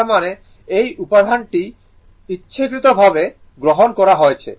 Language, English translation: Bengali, So, this; that means, this example intentionally I have taken